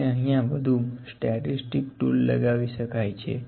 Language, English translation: Gujarati, We can more apply the statistical tools